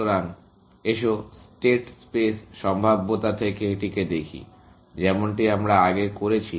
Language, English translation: Bengali, So, let us look at this from the state space prospective, as we have done earlier